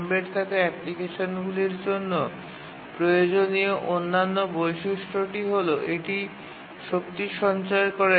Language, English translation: Bengali, The other feature that is desirable for embedded applications is the power saving feature